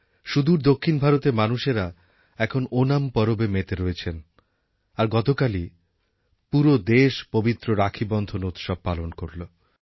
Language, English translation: Bengali, Far south, the people are engrossed in Onam festivities and yesterday the entire Nation celebrated the holy festival of Raksha Bandhan